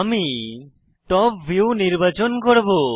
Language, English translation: Bengali, For example, I will choose Top view